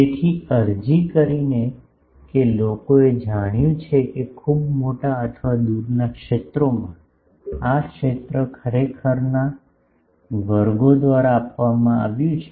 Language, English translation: Gujarati, So, by applying that people have found that at very large or far fields, the field is given by this actually classes